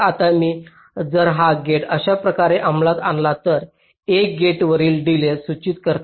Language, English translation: Marathi, ok, now if i implement this gate like this, one denote the delay of the gates